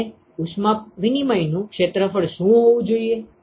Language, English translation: Gujarati, And what should be the area of heat exchange